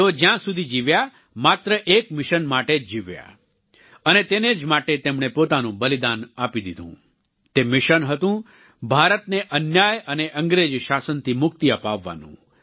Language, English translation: Gujarati, He had a single mission for as long as he lived and he sacrificed his life for that mission That mission was to free India of injustice and the British rule